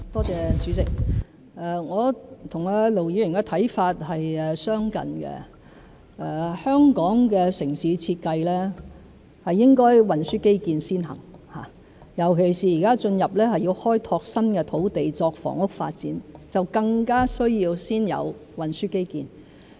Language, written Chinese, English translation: Cantonese, 主席，我和盧議員的看法相近，香港的城市設計應該是運輸基建先行，尤其現在要開拓新土地作房屋發展，就更加需要先有運輸基建。, President Ir Dr LO and I share similar views . Transport infrastructure should be given priority in urban design in Hong Kong especially when we have to explore new land for housing development now it is all the more necessary to accord priority to transport infrastructure